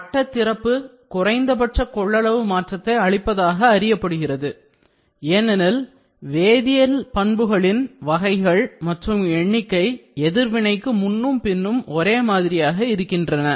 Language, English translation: Tamil, Ring opening is known to impart minimum volume change because the number and the types of chemical bonds are the essentially identical before and after the reaction